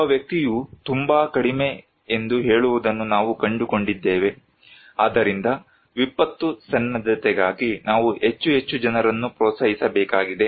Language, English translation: Kannada, What we found that one person say, for too less, so we need to encourage more and more people to for disaster preparedness